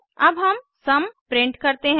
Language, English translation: Hindi, Then we print the sum